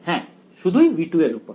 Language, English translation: Bengali, Yeah only over v 2